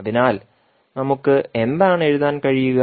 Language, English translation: Malayalam, So, what we can write